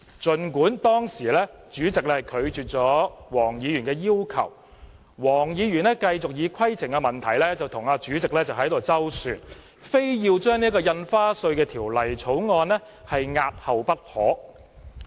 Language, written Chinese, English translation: Cantonese, 儘管主席當時拒絕黃議員的要求，但黃議員繼續以規程問題與主席周旋，非要把《條例草案》押後不可。, Although the President turned down Dr WONGs request she continued to contend with the President on the point of order insisting that the Bill should be handled later